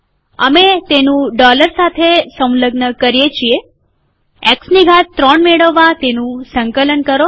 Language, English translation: Gujarati, We enclose it with a dollar, compile it to get X to the power 3